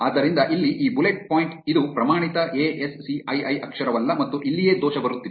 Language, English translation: Kannada, So, this bullet point here this is not a standard ASCII character and this is where the error was coming